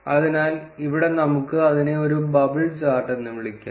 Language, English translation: Malayalam, So, here we have lets name it as bubble chart